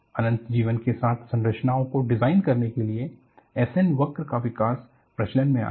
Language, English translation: Hindi, So, what you find here is the development of S N curve for designing structures with infinite life came into vogue then